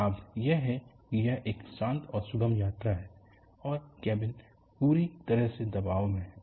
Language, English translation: Hindi, The advantage is it is a quiet and smooth ride, and the cabin is fully pressurized